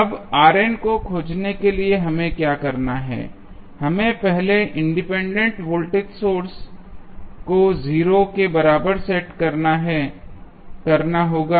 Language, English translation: Hindi, Now, what we have to do to find R n, we have to first set the independent voltage sources equal to 0